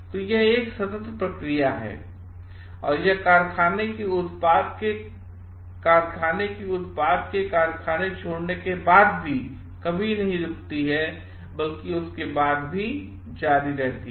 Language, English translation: Hindi, So, this is an ongoing process and it never stops after the factory product leaves the factory, but is continue after that also